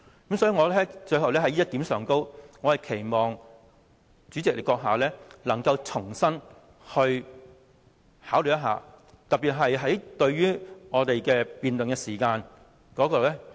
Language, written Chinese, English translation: Cantonese, 最後，我在這一點上，我期望主席閣下重新考慮，特別是可否重新釐定我們的辯論時間。, Lastly I hope that you the Honourable President will reconsider this point especially whether the time limit of our debate can be reset